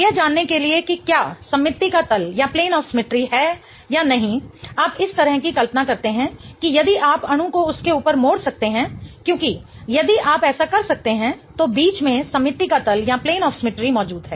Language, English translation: Hindi, In order to know if there is a plane of symmetry or not, you kind of just imagine that if you can fold the molecule on top of itself because if you can do that then there exists a plane of symmetry in between